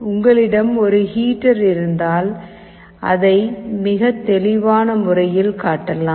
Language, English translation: Tamil, If you have a heater you can show it in a very clear way